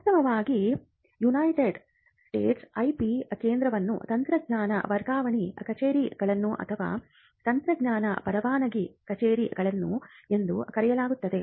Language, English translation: Kannada, In fact, in the United States the IP centers are called technology transfer offices or technology licensing offices